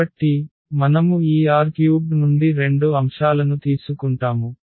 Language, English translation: Telugu, So, we take 2 elements from this R 3